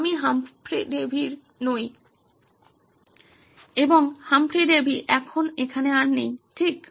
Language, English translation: Bengali, I am not Humphry Davy and Humphry Davy is not here anymore right